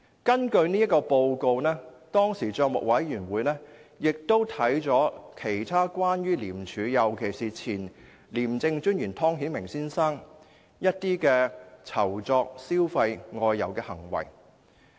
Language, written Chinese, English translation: Cantonese, 根據這份報告，當時政府帳目委員會亦審視了其他關於廉署的事宜，尤其是前廉政專員湯顯明先生的酬酢、消費和外遊的行為。, At the time the Public Accounts Committee PAC also examined other ICAC - related matters based on this report especially the official entertainment gifts and duty visits involving former ICAC Commissioner Mr Timothy TONG